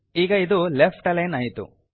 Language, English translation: Kannada, Now it is left aligned